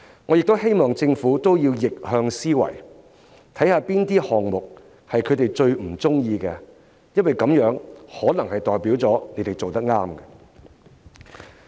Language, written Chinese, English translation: Cantonese, 我也希望政府用逆向思維，看看哪些項目是他們最不喜歡的，因為它們可能代表政府做對了。, I also hope the Government can engage in reverse thinking as items that displease them the most probably indicate that the Government is on the right track